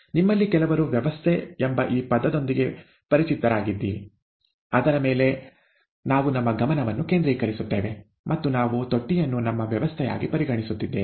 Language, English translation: Kannada, Some of you would be familiar with this term system, something on which we focus our attention, and we, we are considering the the tank as our system